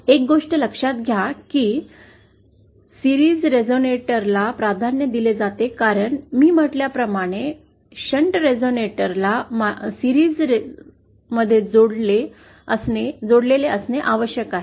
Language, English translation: Marathi, Note one thing that series resonators are the ones that are preferred because as I said shunt resonators have to be connected in series